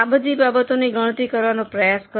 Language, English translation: Gujarati, Try to calculate all these things